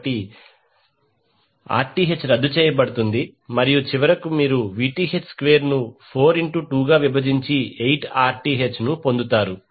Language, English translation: Telugu, So, 1 Rth will be canceled out and finally you get Vth square divided by 4 into 2 that is 8 Rth